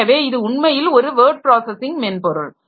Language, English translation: Tamil, So, it is actually the word processing software that I start writing